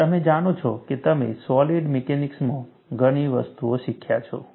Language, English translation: Gujarati, And you know, you have learned in solid mechanics, many things